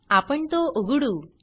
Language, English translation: Marathi, So I will open it